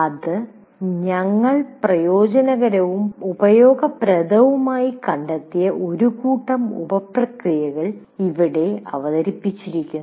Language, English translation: Malayalam, And here we will present you one set of sub processes that we found the advantages and useful